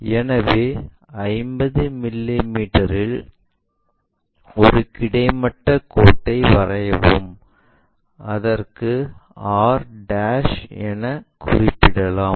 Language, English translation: Tamil, So, at 50 mm draw a horizontal line and let us call this point as r'